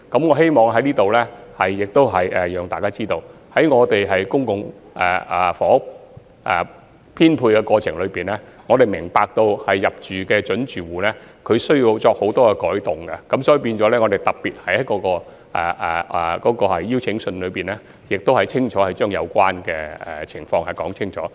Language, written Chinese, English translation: Cantonese, 我希望在此讓大家知道，在公共房屋編配的過程中，我們明白入住的準租戶需要作出許多轉變，所以在發出預配通知書時，我們特別把有關情況清楚說明。, Here I wish to draw your attention that during the public housing allocation process we understand that prospective tenants who are about to move in need to make a lot of changes and so we have specifically made the situation clear when issuing the offer letters